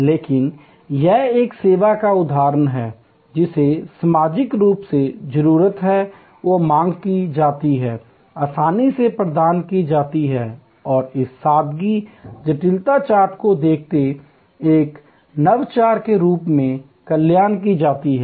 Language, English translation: Hindi, But, it is an example of a service, which is socially needed and demanded, gainfully provided and conceived as an innovation by looking at this simplicity complexity chart